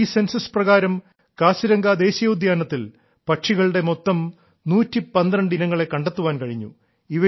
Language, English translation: Malayalam, A total of 112 Species of Birds have been sighted in Kaziranga National Park during this Census